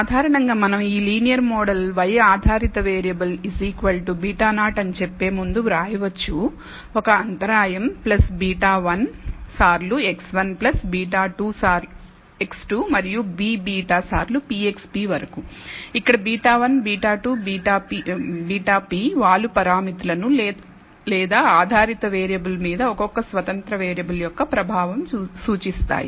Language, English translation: Telugu, In general we can write this linear model as before we can say y the dependent variable is equal to beta naught, an intercept, plus beta 1 times x 1 plus beta 2 times x 2 and so on up to b beta times p x p, where beta 1, beta 2, beta p represents the slope parameters or the effect of the individual independent variables on the dependent variable